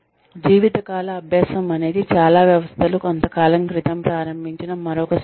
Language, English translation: Telugu, Lifelong learning is another system, that a lot of organizations have just started, sometime back